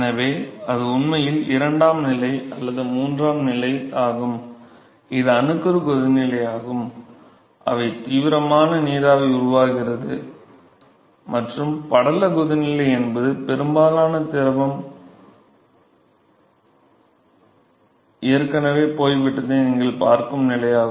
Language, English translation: Tamil, So, that is actually the second stage or third stage which is nucleate boiling where there is vigorous vapor which is formed and film boiling is the stage where you will see that most of fluid is already gone